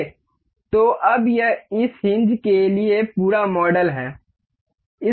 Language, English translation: Hindi, So, now, this is the complete model for this hinge